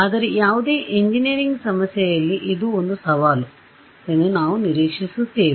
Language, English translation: Kannada, But we expect this to be a challenge in any engineering problem